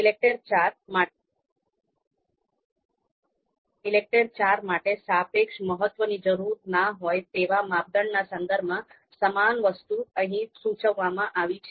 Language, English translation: Gujarati, The similar thing is indicated here in the in the in the context of criteria where relative importance is not needed for ELECTRE IV